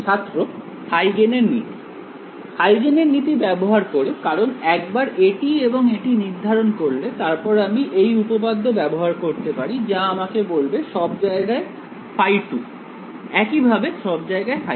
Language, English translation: Bengali, Use Huygens principle right because, ones I evaluate this guy and this guy I can use this theorem which will tell me phi 2 everywhere similarly, phi 1 everywhere right